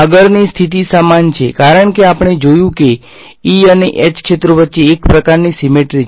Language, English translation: Gujarati, The next condition is analogous because we have seen that there is a sort of symmetry between E and H fields